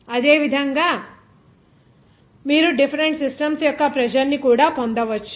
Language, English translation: Telugu, Similarly, the same way different systems you can get as pressure also